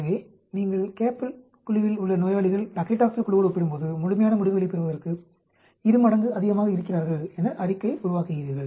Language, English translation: Tamil, So, the statement you make is patients in the CAP group are twice as likely to have a complete response when compared to the Paclitaxel group